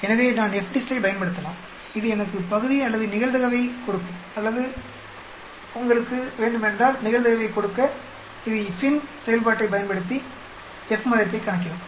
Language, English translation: Tamil, So I can use FDIST which will give me the area or the probability or if you want to given the probability it will calculate the F value using FINV function